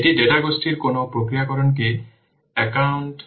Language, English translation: Bengali, It doesn't take into account any processing of the data groups